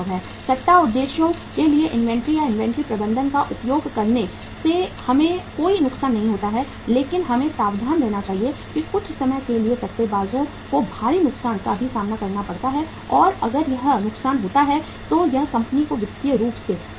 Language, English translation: Hindi, There is no harm in say using the inventory or the inventory management for the speculative purposes we can do that but we should be careful that sometime speculators have to face the huge loss also and that loss if comes then it will kill the company financially